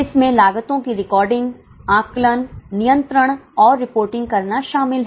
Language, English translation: Hindi, It involves recording, estimating, controlling and reporting of costs